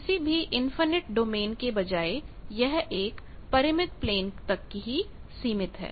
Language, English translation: Hindi, That instead of any infinite domain it is confined to a finite plane